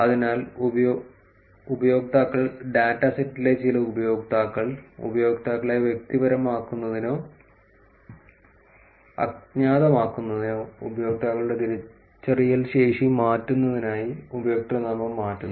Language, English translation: Malayalam, So, the users, some users in the data set change username to reverse the identifiability of the users, either to make them personal or to anonymous